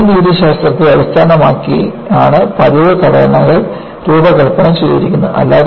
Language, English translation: Malayalam, So, routine components are designed based on design methodology